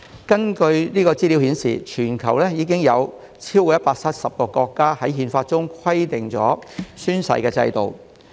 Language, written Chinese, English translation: Cantonese, 根據資料顯示，全球已有超過170個國家的憲法規定了宣誓制度。, As shown by data there are over 170 countries worldwide in which an oath - taking system has been stipulated in their constitutions